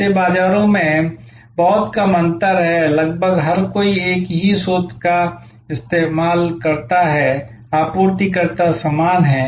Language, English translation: Hindi, In such markets, there is a very little distinction almost everybody uses a same source, the suppliers are the same